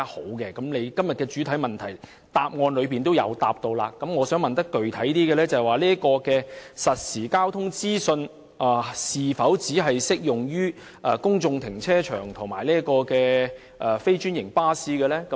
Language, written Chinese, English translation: Cantonese, 雖然局長在今天的主體答覆中亦有所提及，但我想具體詢問局長，實時交通資訊是否只適用於公眾停車場及非專營巴士呢？, The Secretary mentions this in his main reply today . But I wish to ask him a specific question . Will the provision of real - time traffic information be confined to public car parks and non - franchised buses?